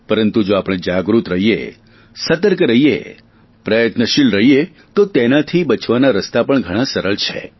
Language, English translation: Gujarati, But if we are aware, alert and active, the prevention is also very easy